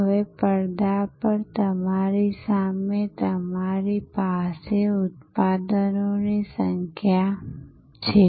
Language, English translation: Gujarati, Now, in front of you on your screen you have number of products